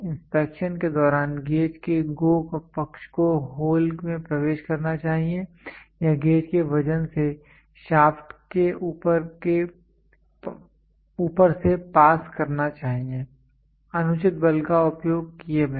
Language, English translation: Hindi, During inspection the GO side of the gauge should enter the hole or just pass over the shaft under the weight of the gauge, without using undue force